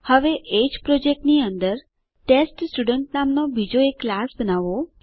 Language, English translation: Gujarati, Now create another class named TestStudent inside the same project